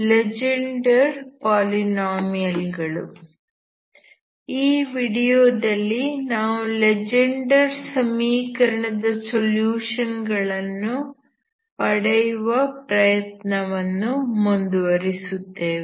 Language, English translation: Kannada, So this Legendre polynomial is actually constant multiple of a polynomial solution of Legendre equations, okay